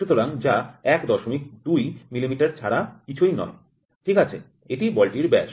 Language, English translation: Bengali, 2 millimeter, ok so, this is the diameter of the ball